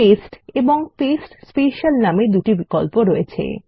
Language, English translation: Bengali, There is a paste and also there is a Paste Special